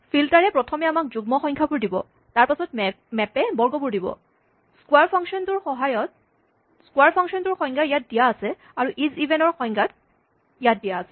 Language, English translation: Assamese, Filter, first gives us the even numbers and then map gives us the squares and the square is defined here and this even is defined here